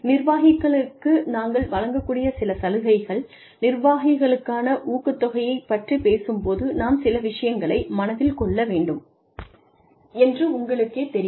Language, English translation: Tamil, Some incentives, that we can give to executives are, you know, when we talk about, incentives for executives, we need to keep a few things in mind